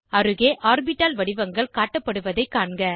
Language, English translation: Tamil, Notice the different orbital shapes displayed alongside